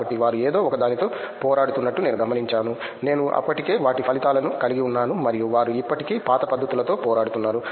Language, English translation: Telugu, So, I saw like they are still like struggling with something which I have the results and they are still struggling with the old techniques